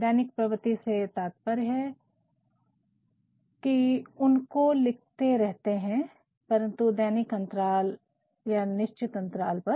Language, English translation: Hindi, Routine nature means, they keep on being written, but at routine intervals, at regular intervals